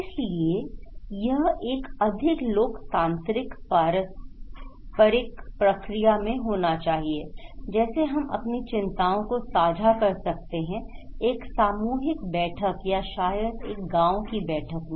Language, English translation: Hindi, So, it should be in a more democratic reciprocal process, like we can share our concerns in a summit or maybe in just in a village meeting